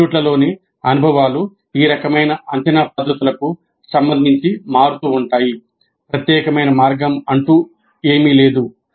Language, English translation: Telugu, Experiences across the institutes do vary with respect to these kind of assessment practices